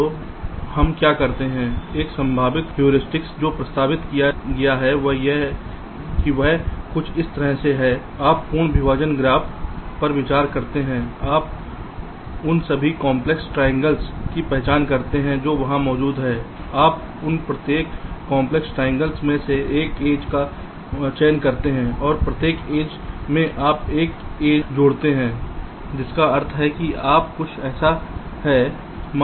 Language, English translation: Hindi, so what we do one possible heuristic that has been proposed is something like this: you consider the complete partitioning graph, you identify all complex triangles that exists there, you select one edge from each of those complex triangles and in each of edges you add one edge, which means it is something like this: let say, your complex triangle look like this